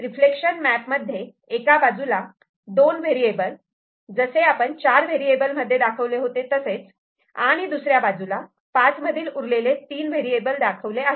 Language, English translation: Marathi, So, in the reflection map based, this side this side remains what it was earlier for four variable, and the other side here we are representing the remaining three variable out of five variable